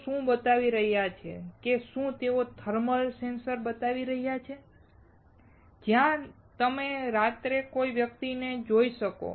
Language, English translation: Gujarati, What they are showing whether they are showing a thermal sensor, where you can see a person in night